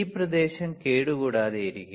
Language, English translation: Malayalam, This area will be intact